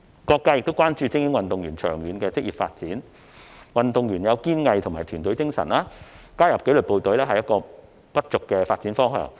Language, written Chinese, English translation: Cantonese, 各界亦關注精英運動員長遠的職業發展，運動員具有堅毅及團隊的精神，所以加入紀律部隊是不俗的發展方向。, Various sectors in the community are also concerned about the long - term career development of elite athletes . Given athletes perseverance and their team spirit joining the disciplined forces is quite a nice direction for their development